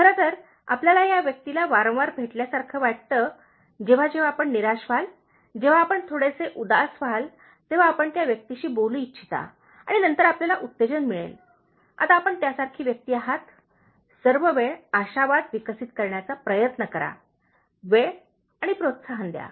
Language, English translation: Marathi, In fact, you feel like meeting this person frequently, whenever you feel let down, whenever you feel little bit depressed, you want to talk to the person and then feel encouraged, now you be that kind of person, try to develop optimism all the time and be encouraging